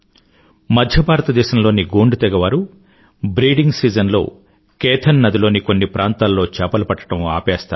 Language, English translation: Telugu, The Gond tribes in Central Indai stop fishing in some parts of Kaithan river during the breeding season